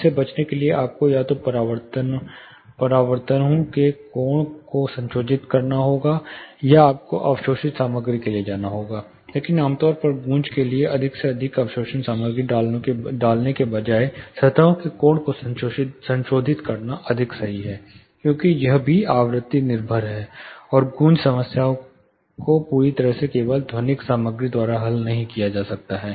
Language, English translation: Hindi, In order to avoid you have to either play around with the angle of the reflections, or you have to go for absorptive material, but typically echo is well controlled by modulating the angle of the surfaces, rather than putting more and more absorptive material, because it is also frequency dependent, and echo problems may not be completely solved just by acoustic material itself